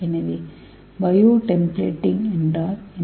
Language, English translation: Tamil, So what is bio templating